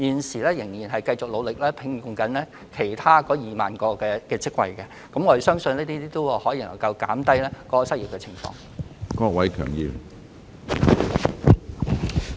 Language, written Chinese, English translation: Cantonese, 政府現正繼續努力招聘其餘2萬個職位，我們相信這些措施能夠減低失業率。, At present the Government is striving to conduct recruitment exercises for the remaining 20 000 vacancies . We believe these measures can reduce the unemployment rate